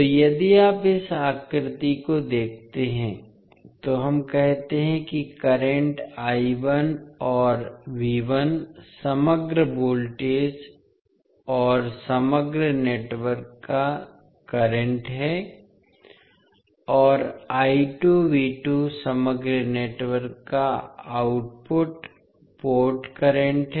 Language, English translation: Hindi, So, if you see in this figure, we say that current I 1 and V 1 is the overall voltage and current of the overall network, and V 2 I 2 is the output port current of the overall network